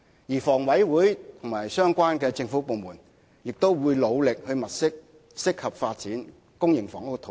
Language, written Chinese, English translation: Cantonese, 此外，房委會及相關的政府部門亦會努力物色適合發展公營房屋的土地。, Moreover HKHA and other relevant government departments will also endeavour to identify sites suitable for public housing development